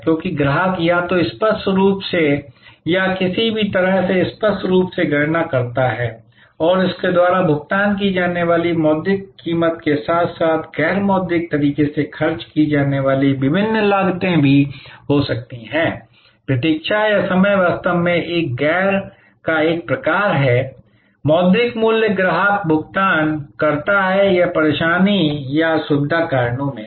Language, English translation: Hindi, Because, the customer also calculates either explicitly or somehow implicitly, the monitory price paid by him as well as the different costs he or she might incur in a non monitory way for example, the wait or time is actually a kind of a non monitory price the customer pays or hassle or in the convenience factors